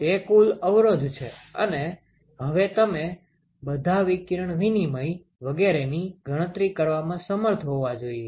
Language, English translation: Gujarati, So, that is the total resistance, and now you should be able to calculate the radiation exchange over all radiation exchange etcetera